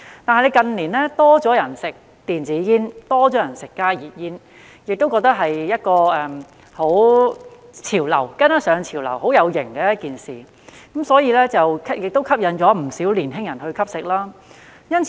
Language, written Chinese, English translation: Cantonese, 但是，近年有較多人吸食電子煙和加熱煙，覺得這是一個潮流，是跟上潮流、很"有型"的一件事，不少年輕人受到吸引而吸食。, However in recent years more people have been smoking e - cigarettes and HTPs thinking it is a fad and a trendy and cool thing to do . Many young people are thus attracted to smoking